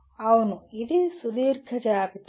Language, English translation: Telugu, Yes, this is a long list